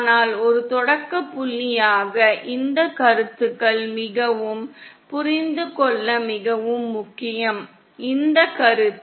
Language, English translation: Tamil, But as a starting point these concepts are very, it is very important to understand, this concepts